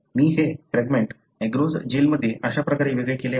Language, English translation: Marathi, I have separated the fragments in agarose gel and this is how it separated